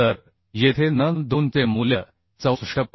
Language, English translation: Marathi, 5 So puting the value of n2 here as 64